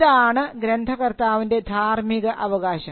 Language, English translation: Malayalam, So, this is similar to the moral right of an author